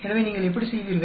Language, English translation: Tamil, So, how do you